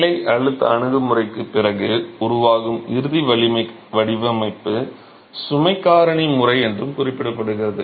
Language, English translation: Tamil, The ultimate strength design which is a development after the working stress approach, it's also referred to as the load factor method